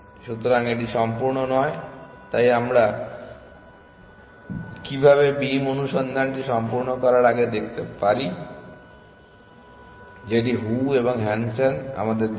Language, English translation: Bengali, So, it is not complete, so how can we make beam search complete before we do that Zhou and Hansen also gave us